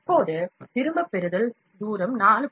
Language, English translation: Tamil, Now, retraction distance is 4